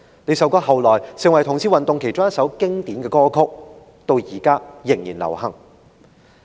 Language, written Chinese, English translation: Cantonese, 這首歌後來成為同志運動其中一首經典歌曲，至今仍然流行。, The song became among the classics for gay rights movements later on and is still popular now